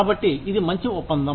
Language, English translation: Telugu, So, it is a good deal